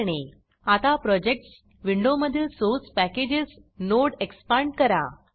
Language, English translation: Marathi, Now in the Projects window, expand the Source Packages node